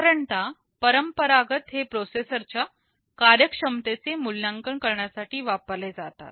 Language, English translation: Marathi, Normally, these are traditionally used for evaluating processor performances